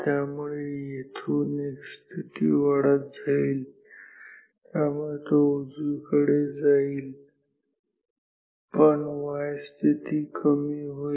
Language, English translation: Marathi, So, from here x position will increase so, will go towards the right, but y position will decrease